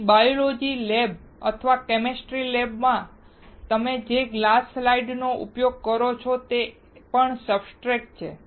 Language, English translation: Gujarati, So, even the glass slide that you use in the biology lab or in a chemistry lab is also a substrate